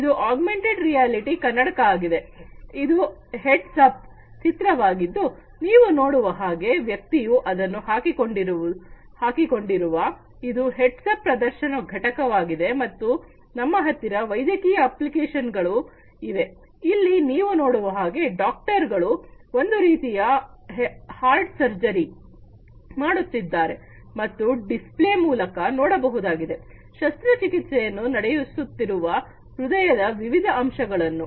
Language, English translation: Kannada, This is the augmented reality eyeglass, this is the heads up display as you can see over here the individual is wearing it, the display unit heads up display unit and then we also have like you know medical applications for instance as you can see over here the doctors are performing some kind of a heart surgery and can see using the display, the different aspects of the heart on upon which the surgery is being performed